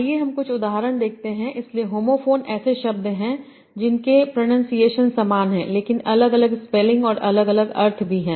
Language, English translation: Hindi, So homophones are the words that I have the same pronunciation but different spellings and different meanings